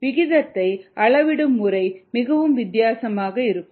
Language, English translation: Tamil, the way you measure rate could be very different